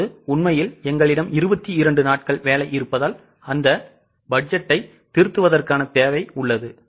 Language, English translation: Tamil, Now, since actually we have worked for 22 days, there is a requirement to revise that budget